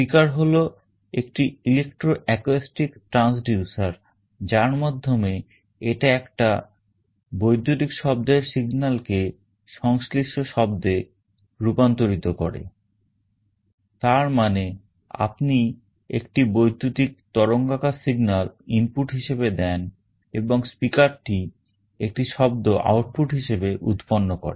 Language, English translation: Bengali, A speaker essentially an electro acoustic transducer, which means is converts an electrical audio signal into a corresponding sound; that means, you give an electrical signal waveform as the input and the speaker will generate a sound as the output